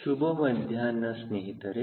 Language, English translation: Kannada, good afternoon friends